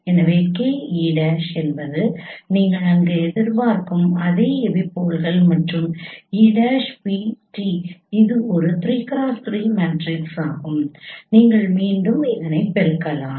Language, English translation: Tamil, So the k e prime is the same epipoles that you expect there and e prime v transpose it is a 3 cross 3 matrix once again you can multiply with it